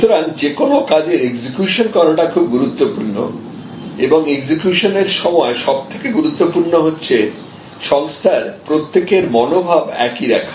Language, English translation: Bengali, So, execution is very important and in execution, the most important thing is to have everybody on the organization on the same page